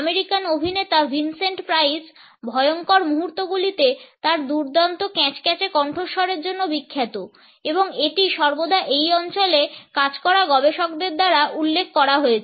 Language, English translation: Bengali, The American actor Vincent Price is famous for his excellent creaky voice in menacing moments and it has always been referred to by researchers working in this area